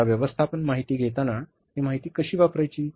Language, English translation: Marathi, Now, how to use this information for the management decision making